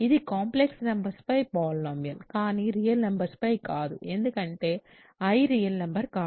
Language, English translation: Telugu, So, this is a polynomial over complex numbers, but not over real numbers because i is not a real number